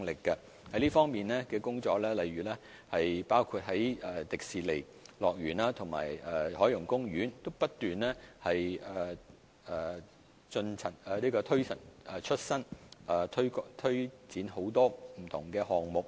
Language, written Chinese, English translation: Cantonese, 這方面的工作包括不斷更新現有景點，例如香港迪士尼樂園和海洋公園不斷推陳出新，推展很多不同的項目。, Our work in this area includes continuously updating the existing tourist attractions eg . introducing a variety of new programmes in the Hong Kong Disneyland and the Ocean Park